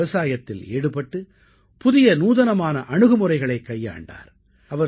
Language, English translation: Tamil, He started farming, albeit using new methods and innovative techniques